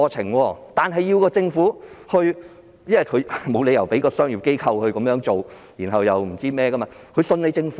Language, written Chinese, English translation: Cantonese, 不過，此事必須由政府促成，因為沒有理由要求商業機構承擔，而他們亦只相信政府。, But the actualization of this matter must depend on the Government because there is no reason to shift the responsibility to commercial organizations . And they only trust the Government